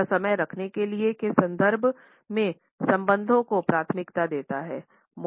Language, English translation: Hindi, It prefers relationships in terms of the idea of keeping time